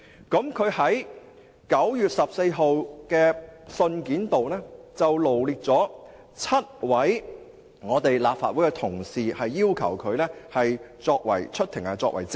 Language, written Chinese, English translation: Cantonese, 他在9月14日的信件中，臚列了7位立法會同事，要求他們出庭作證。, In the letter dated 14 September he listed seven Legislative Council officers and requested them to give evidence in court